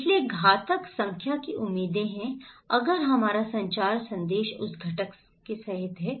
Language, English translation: Hindi, So, expected number of fatalities, if our is communication message is including that component